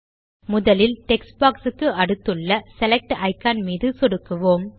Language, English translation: Tamil, Let us click on the Select icon on the right next to the first text box